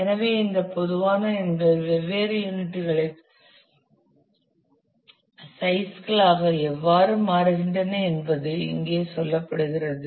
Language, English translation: Tamil, So, here at the typical numbers of how these sizes of this different units turn out to be